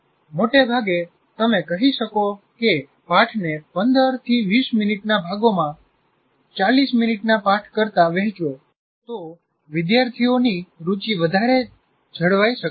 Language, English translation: Gujarati, So broadly, you can say packaging lessons into 15 to 20 minute components is likely to result in maintaining greater student interest than one 40 minute lesson